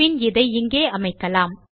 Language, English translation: Tamil, So lets test this out